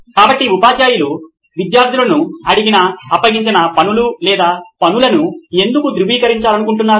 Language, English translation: Telugu, So, why do teachers want to verify the notes or assignments that they have asked the students to do